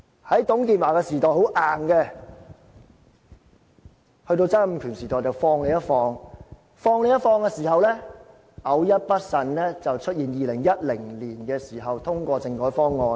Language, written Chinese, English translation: Cantonese, 在董建華時代很硬，在曾蔭權時代放鬆一點，在放鬆一點的時候，偶一不慎便出現2010年通過的政改方案。, It was sternness during the time of TUNG Chee - hwa . Then there was more latitude under Donald TSANG but such greater latitude led to reduced vigilance and thus the passage to the constitutional reform package in 2010